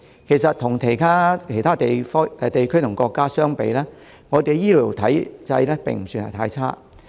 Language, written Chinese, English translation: Cantonese, 其實，與其他地區與國家相比，我們的醫療體制並不算太差。, In fact compared with other regions and countries our healthcare regime is by no means very poor